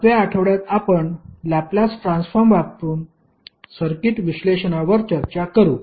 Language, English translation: Marathi, 7th week we will devote on circuit analysis using Laplace transform